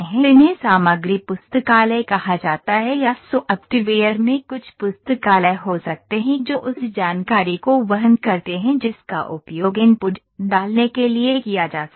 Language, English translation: Hindi, These are called the material libraries, material libraries or we can have certain libraries in the software that carries the information that can be used to put the input